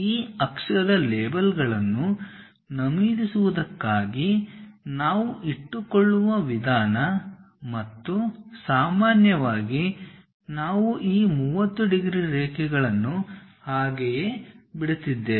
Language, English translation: Kannada, This is the way we keep and typically just to mention this axis labels, we are just leaving this 30 degrees lines as it is